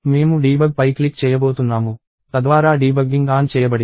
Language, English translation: Telugu, So, I am going to click on debug, so that the debugging is turned on